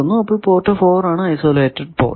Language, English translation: Malayalam, That is why port 4 is called isolated port